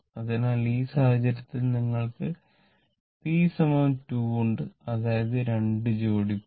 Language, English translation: Malayalam, So, here in this case you have p is equal to 2, that is two pairs of poles right